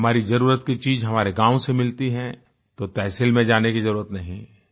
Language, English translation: Hindi, If it is found in Tehsil, then there is no need to go to the district